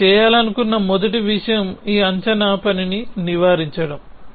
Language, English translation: Telugu, The first thing you want to do is avoid this guess work